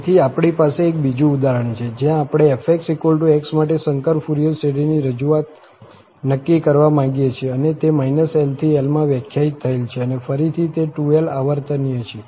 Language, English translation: Gujarati, So, we have the, another example where we want to determine the complex Fourier series representation for this f x is equal to x and it is defined in minus l to l and again it is 2l periodic